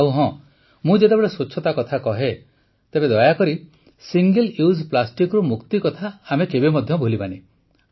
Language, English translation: Odia, And yes, when I talk about cleanliness, then please do not forget the mantra of getting rid of Single Use Plastic